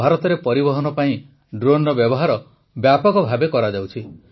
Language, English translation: Odia, India is working extensively on using drones for transportation